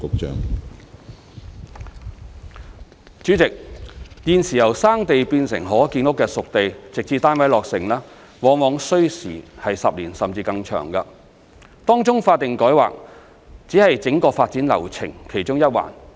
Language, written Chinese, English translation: Cantonese, 主席，現時由"生地"變成可建屋的"熟地"，直至單位落成，往往需時10年，甚至更長時間，當中法定改劃只是整個發展流程其中一環。, President at present it usually takes 10 years or more to transform a piece of primitive land into a spade - ready site and from construction of housing to its completion . Among which statutory rezoning is only one part in the entire development flow